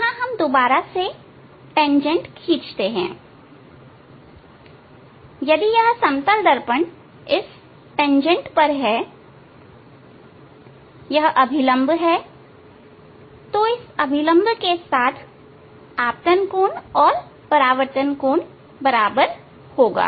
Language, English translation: Hindi, Here again we must draw tangent this tangent as if this plane mirror now on this tangent this the normal, angle of incidence with this normal will be equal to the angle of the reflection